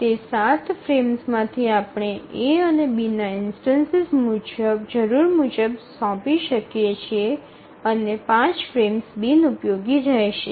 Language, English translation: Gujarati, So 12 frames to 7 of those frames we can assign an instance of A or B as required and 5 frames will remain unutilized